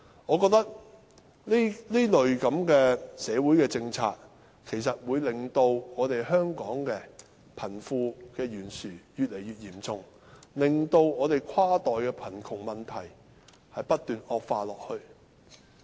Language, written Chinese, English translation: Cantonese, 我認為，這類社會政策其實會令香港的貧富懸殊情況越來越嚴重，使跨代貧窮問題不斷惡化。, I think this kind of social policies will actually intensify the wealth gap in Hong Kong resulting in continual exacerbation of cross - generational poverty